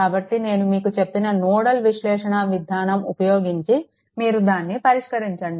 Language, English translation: Telugu, So, the way the way I have told you that nodal analysis, may you please solve it